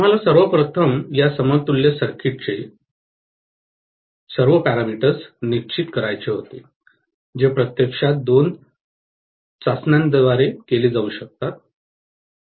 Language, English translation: Marathi, We wanted to first of all determine all the parameters of this equivalent circuit which actually can be done by two tests